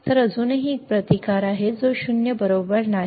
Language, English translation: Marathi, So, still there is a resistance, it is not 0 right